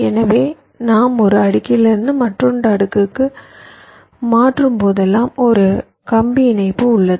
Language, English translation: Tamil, so whenever we switch from one layer to another layer, there is a wire connection